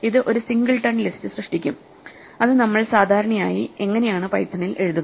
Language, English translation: Malayalam, It will create the singleton list that we would normally write in python like this